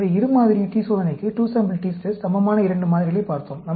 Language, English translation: Tamil, So, we looked at two samples, equivalent to two sample t test